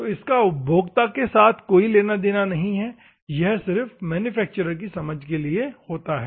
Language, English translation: Hindi, This is nothing to do with the users, but this is solely for the manufacturers understanding